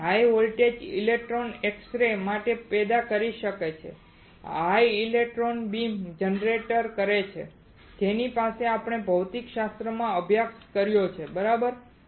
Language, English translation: Gujarati, and high voltage electron may generate x rays high electron beams generates what x rays with this we have studied in physics right